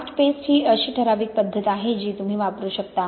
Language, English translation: Marathi, Cast paste, this is the kind of typical method you can use